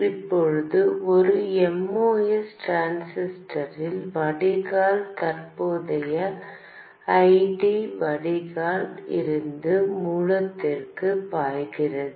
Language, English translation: Tamil, Now, in a Moss transistor, the drain current ID flows from drain to source